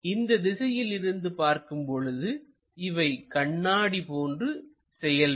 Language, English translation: Tamil, If we are observing from this direction, this entire thing acts like mirror